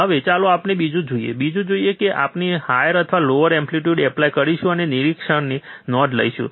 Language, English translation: Gujarati, Now, let us see another one, another one; that is, we will apply higher or lower amplitude and note down the observation